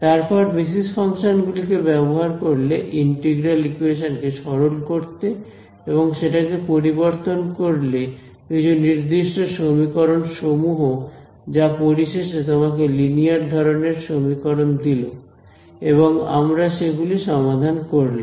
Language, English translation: Bengali, Then use those basis functions to simplify your expand your integral equation and convert it into a discrete set of equations which finally, gave you a linear system of equations and we solved it